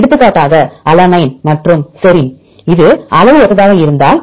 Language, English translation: Tamil, For example if alanine and the serine this is similar in size